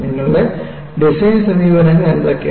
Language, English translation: Malayalam, And what are the design approaches you had